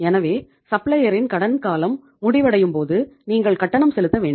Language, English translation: Tamil, So when the supplier’s credit period is coming to an end, you have to make the payment